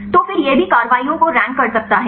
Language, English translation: Hindi, So, then also it can rank the actives